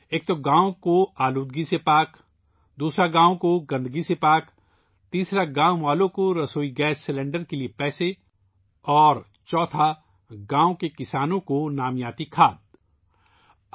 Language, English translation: Urdu, One, the village is freed from pollution; the second is that the village is freed from filth, the third is that the money for the LPG cylinder goes to the villagers and the fourth is that the farmers of the village get bio fertilizer